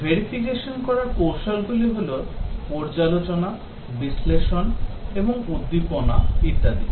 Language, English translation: Bengali, Verification techniques are review, analysis and stimulation and so on